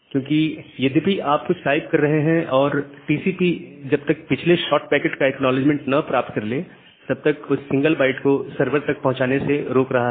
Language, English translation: Hindi, Because although you are typing something, that TCP is preventing that single byte to reach at the server side unless it is getting an acknowledgement for the previous short packet